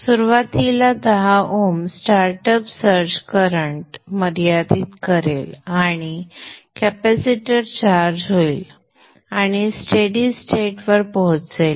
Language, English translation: Marathi, So initially the 10 oms will limit the startup search current and the capacitor will get charged and reach a steady state